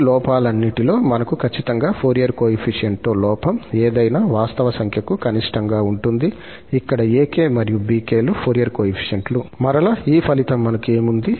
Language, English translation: Telugu, Among all these errors, the one where we have exactly the Fourier coefficients is going to be the minimum one, for any real number here, this and this and we have that ak and bk are the Fourier coefficients